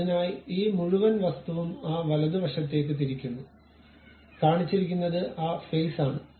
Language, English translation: Malayalam, So, this entire object rotated in that rightward direction that is the face what it is shown